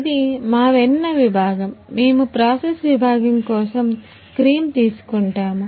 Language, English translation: Telugu, This is our butter section; we will take cream for process section